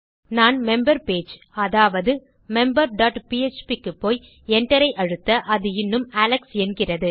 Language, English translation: Tamil, If I go back to the member page which is member dot php and press enter it is still saying alex